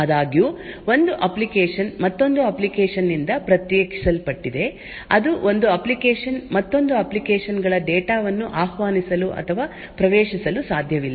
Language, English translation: Kannada, However, one application is isolated from another application that is one application cannot invoke or access data of another applications